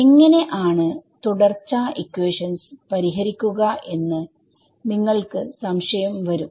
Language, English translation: Malayalam, So, the natural question will come how do you fix the continuity equation right